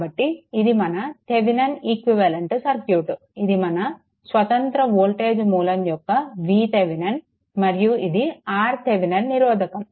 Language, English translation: Telugu, We have to find out the Thevenin equivalent circuit; that is your V Thevenin and your R Thevenin right and one independent current source is there